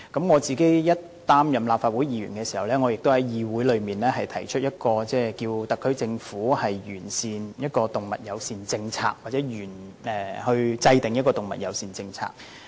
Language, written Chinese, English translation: Cantonese, 我剛擔任立法會議員時，也曾在議會提出一項議案，促請特區政府完善動物友善政策或制訂動物友善政策。, When I first became a Member of the Legislative Council I moved a motion in this Council urging the SAR Government to formulate an animal - friendly policy